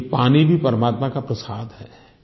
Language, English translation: Hindi, Water is also an offering form the God